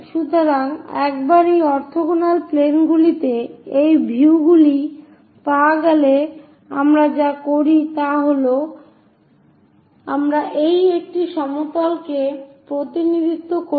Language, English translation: Bengali, So, once these views are obtained on these orthogonal planes, what we do is we represents this one plane ; the red plane let us consider